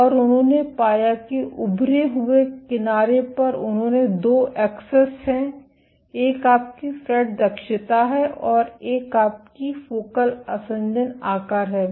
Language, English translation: Hindi, And they found at the protruding edge they have 2 axes one is your FRET efficiency and one is your focal adhesion size